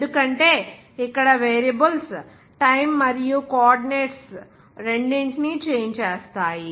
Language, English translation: Telugu, Because here the variables which changing two variables like here time as well as coordinates there